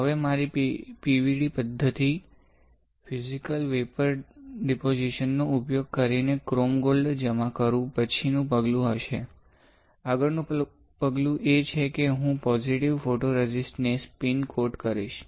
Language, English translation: Gujarati, So, the next step would be, after I have deposited chrome gold using my PVD method, Physical Vapor Deposition; the next step is I will spin coat positive photoresist alright